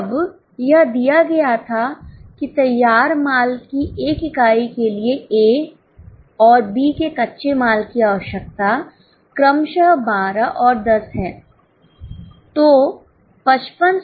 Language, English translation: Hindi, Now it was given that raw material required of A and B is 12 and 10 respectively for one unit of finished goods